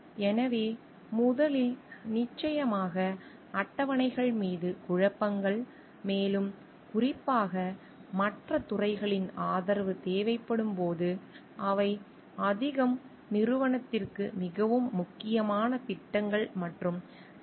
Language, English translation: Tamil, So, first is of course, conflicts over schedules, where they more when more specifically when support is needed from other departments; conflicts over projects and departments which are more important to the organization